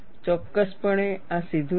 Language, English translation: Gujarati, Definitely, this is not straight